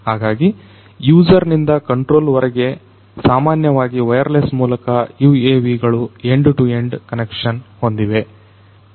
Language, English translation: Kannada, So, UAVs have an end to end connection typically via wireless from the user to the controller